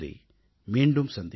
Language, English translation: Tamil, We shall meet